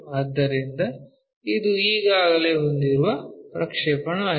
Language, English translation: Kannada, So, this is the projection what we have already